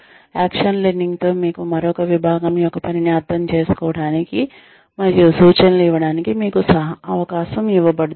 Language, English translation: Telugu, In action learning, you are given a chance to understand, another working, the working of another department, and then give suggestions